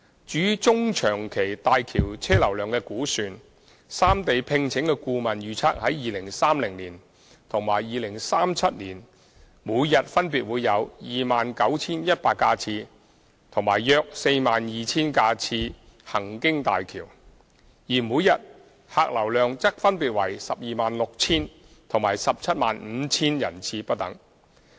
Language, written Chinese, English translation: Cantonese, 至於中、長期大橋車流量的估算，三地聘請的顧問預測於2030年及2037年每天分別會有約 29,100 架次及約 42,000 架次行經大橋；而每天客流量則分別為 126,000 及 175,000 人次不等。, As regards mid - to long - term projections on the vehicular flows of HZMB the consultant engaged by the three sides has estimated that the daily traffic volume of HZMB would be around 29 100 and 42 000 vehicles in 2030 and 2037 respectively while the daily passenger flow would be 126 000 and 175 000 passenger trips respectively